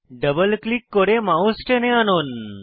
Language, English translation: Bengali, Double click and drag the mouse